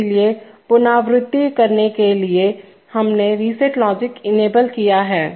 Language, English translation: Hindi, So to recapitulate, we have enable reset logic